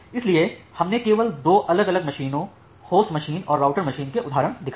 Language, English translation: Hindi, So, we have just shown the instances of two different machines, the host machine and the router machine